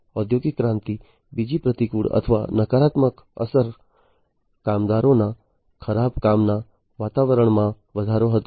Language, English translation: Gujarati, Second adverse or, negative effect of industrial revolution was the increase in the bad working environment of the workers